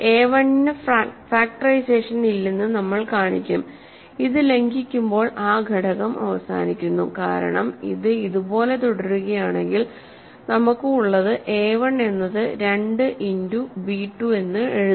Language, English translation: Malayalam, So, then we will show that then a1 has no factorization, that is because which violates then that factor terminates, because if this continues like this what we have is a1 can be written as a 2 times b 2 right